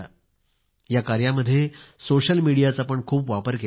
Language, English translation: Marathi, In this mission, ample use was also made of the social media